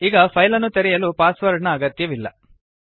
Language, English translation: Kannada, You do not require a password to open the file